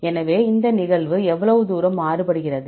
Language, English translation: Tamil, So, how far this occurrence vary